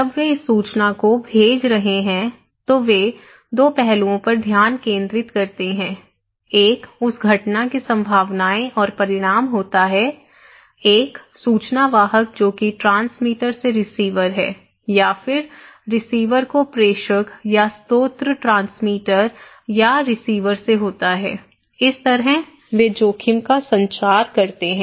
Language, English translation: Hindi, When they are sending this informations, they focus in 2 aspects; one is the probabilities and consequence of that event, from one information bearer, that is the transmitter to the receiver or the from the source transmitter or receiver okay so, these way they communicate the risk